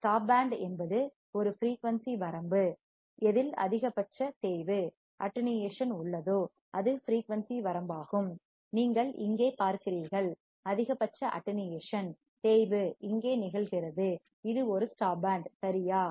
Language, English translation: Tamil, Stop band is a range of frequency that have most attenuation, you see here, the maximum attenuation occurs here it is a stop band right